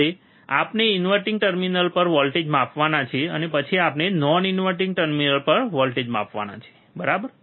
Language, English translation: Gujarati, Then we have to now measure the voltage at the inverting terminal, and then we have to measure the voltage at the non inverting terminal, alright